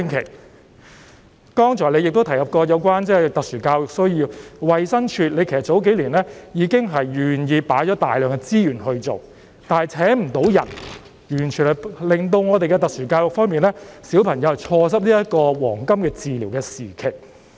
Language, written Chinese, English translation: Cantonese, 行政長官，剛才你亦提及特殊教育需要，其實你數年前已經願意投放大量資源去做，但衞生署未能聘請人手，結果令需要接受特殊教育的小朋友錯失治療的黃金時期。, Chief Executive you have also mentioned special education needs just now . As a matter of fact you were willing to devote substantial resources in this aspect a few years ago . Yet as the Department of Health DH failed to recruit staff children in need of special education missed the golden time of treatment